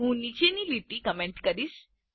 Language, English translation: Gujarati, I will comment out the following lines